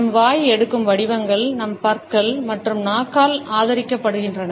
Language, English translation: Tamil, The shapes which our mouth takes are also supported by our teeth and our tongue